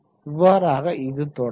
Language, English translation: Tamil, So this is how it goes on